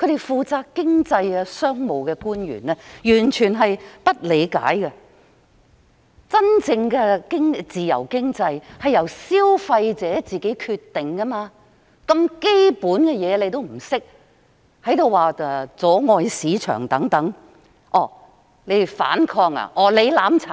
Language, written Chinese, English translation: Cantonese, 負責經濟及商務的官員完全不理解真正的自由經濟是由消費者自行作決定，如此基本的事情也不懂，卻反過來說我們妨礙市場運作、要反抗、要"攬炒"。, The public officer responsible for economic and business affairs totally fails to understand that in a genuine free economy consumers make their own decisions . He fails to understand this basic principle and conversely accuses us of interfering with the operation of the market putting up a fight and burning together